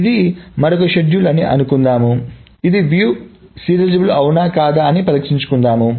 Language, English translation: Telugu, So the question is we need to test whether this is view serializable or not